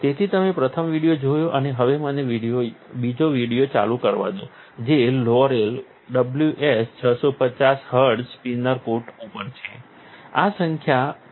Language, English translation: Gujarati, So, you have seen the first video and let it me play the second video which is on Laurell WS 650 HZ Spin Coater, the number is 61002